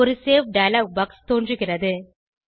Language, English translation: Tamil, A Save dialog box appears